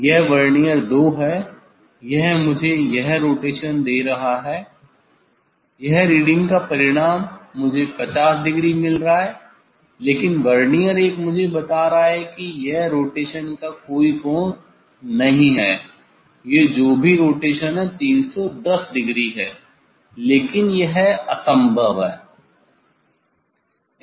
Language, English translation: Hindi, this Vernier 2 it is giving me this rotation, this reading result I am getting 50 degree, but Vernier 1 is telling me no this angle of rotation, this whatever rotation it is 310 degree, but it is impossible